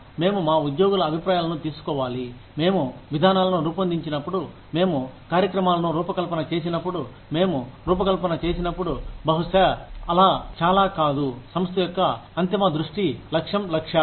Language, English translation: Telugu, We need to take the opinions of our employees, into account, when we design policies, when we design programs, when we design, maybe, not so much, with the ultimate vision, mission, goals, objectives, of the organization